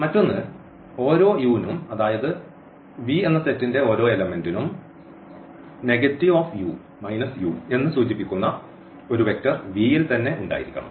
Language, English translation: Malayalam, And, another one; so, for each u so, for each element of this set V; there must exist a vector V which is denoted by minus u